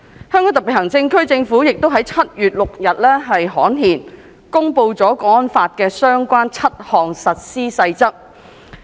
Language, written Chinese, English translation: Cantonese, 香港特別行政區政府亦於7月6日刊憲，公布了《港區國安法》的相關7項實施細則。, On 6 July the Government of the Hong Kong Special Administrative Region promulgated seven Implementation Rules pertaining to HKNSL by gazettal